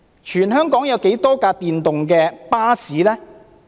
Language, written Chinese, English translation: Cantonese, 全香港有多少輛電動巴士呢？, Then how many electric buses are there in Hong Kong?